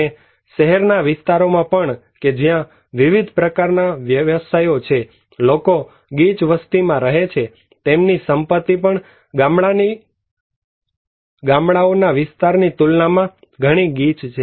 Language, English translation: Gujarati, And also in a city areas where diverse occupations are there, people are also densely populated so, their property is also concentrated compared to in the villages areas